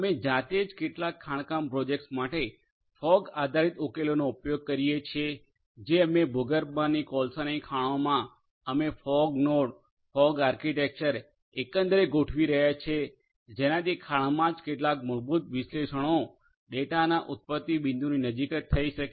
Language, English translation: Gujarati, We ourselves have been using fog based solutions for certain mining projects that we have in the underground coal mines we are deploying fog nodes fog architecture overall for doing some basic analytics in the mine itself right close to the point of origination of the data